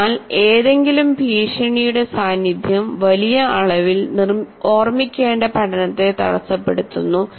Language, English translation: Malayalam, So, presence of threat in any significant degree impedes learning